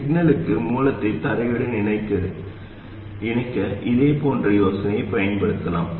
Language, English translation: Tamil, And we can use a similar idea to connect the source to ground for signals